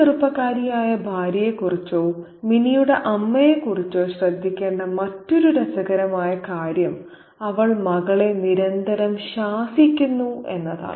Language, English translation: Malayalam, And the other very interesting thing to notice about this young wife or the mother of Minnie is the fact that she constantly disciplines the daughter